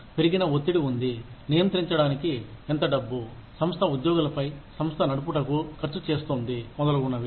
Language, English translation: Telugu, There is an increased pressure, to control, how much money, the organization is spending on the employees, on running of the organization, etcetera